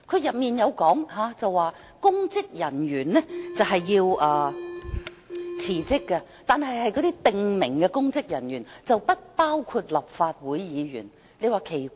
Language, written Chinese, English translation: Cantonese, 該條例訂明公職人員必須辭職，但只限於指明公職人員，不包括立法會議員。, The Ordinance provides that public officers must tender resignation . However this merely applies to designated public officers and does not cover Legislative Council Members